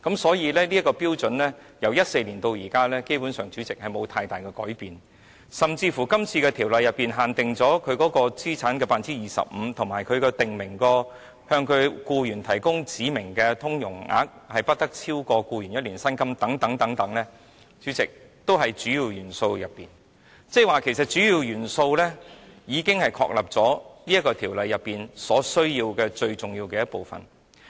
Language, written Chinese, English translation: Cantonese, 所以，主席，由2014年至今，這些標準基本上沒有太大改變，甚至是《條例草案》訂明資產不得超過 25%， 以及向其僱員提供指明的融通總額不得超過僱員1年薪金等規定，也是屬於主要元素。即是說，主要元素已經確立《條例草案》最重要的部分。, In this connection President since 2014 these standards basically have seen no significant changes and even the capital threshold of not more than 25 % and the rule against providing any specified facility to an aggregate amount in excess of the employees salary for one year as contained in the Bill are among the Key Attributes which means that the Key Attributes constitute a major part of the Bill